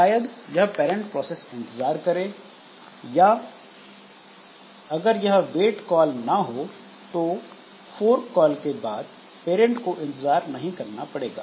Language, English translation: Hindi, So, this parent process may be wait or if this wait call is not there, if the parent does not want to wait, then the parent will not put an wait call after fork